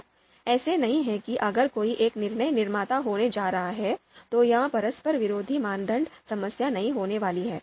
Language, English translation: Hindi, So it is not just if there is going to be one DM, so this conflicting criteria problem is not going to be there